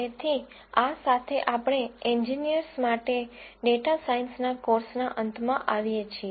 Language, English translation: Gujarati, So, with this we come to the end of the course on Data Science for Engineers